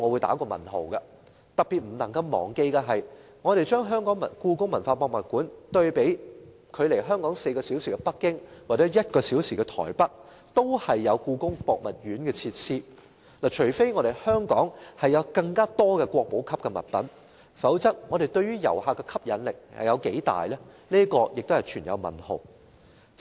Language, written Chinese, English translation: Cantonese, 特別不能忘記的是，距離香港4小時飛機航程的北京及1小時飛機航程的臺北都有故宮博物院，除非故宮館有更多國寶級展品，否則對於遊客的吸引力有多大也是未知數。, In particular we should not forget that we can visit the Palace Museum in Beijing by taking a four - hour flight from Hong Kong or visit the National Palace Museum in Taipei by taking a one - hour flight from Hong Kong . Unless there are more exhibits of national standard at HKPM its attractiveness to tourists is still unknown